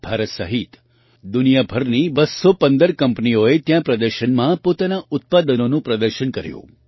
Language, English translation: Gujarati, Around 215 companies from around the world including India displayed their products in the exhibition here